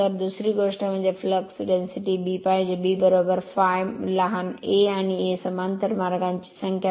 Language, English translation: Marathi, So, second thing is the flux density b should B is equal to phi upon small a right and your A is the number of parallel path right